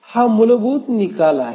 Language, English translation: Marathi, This is the basic result